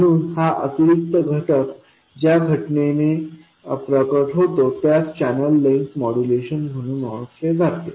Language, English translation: Marathi, So, the phenomenon by which this additional factor appears is known as channel length modulation